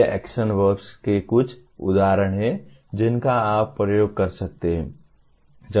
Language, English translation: Hindi, These are some examples of action verbs that you can use